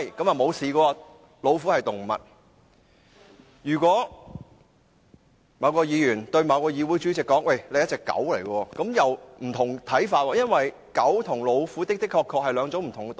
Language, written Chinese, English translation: Cantonese, 但是，如果某位議員對某議會的主席說，他是一隻狗，這樣又有不同的看法，因為狗和老虎的確是兩種不同的動物。, However if a Member describes the Council President as a dog this will be viewed differently as dogs and tigers are truly two different kinds of animals